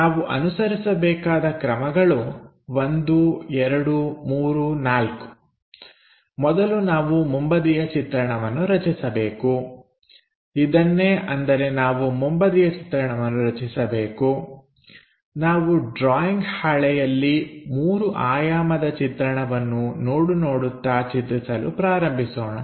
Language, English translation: Kannada, The steps what we have to follow are 1 2 3 4, first we have to construct a front view this is the one what we have to construct, let us begin on our drawing sheet parallelly looking at this 3 dimensional object